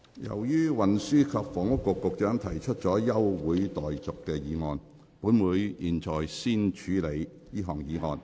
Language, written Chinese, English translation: Cantonese, 由於運輸及房屋局局長提出了休會待續議案，本會現在先處理這項議案。, As the Secretary for Transport and Housing has moved a motion for adjournment this Council now deals with this motion first